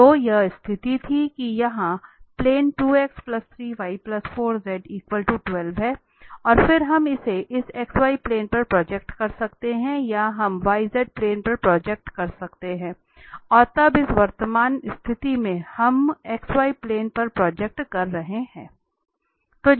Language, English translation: Hindi, So this was the situation this is the plane here 2x plus 3y plus 4z equal to 12 and then, we can project this either on this x z plane or we can project on the y z plane and now in this present situation we are projecting on the x y plane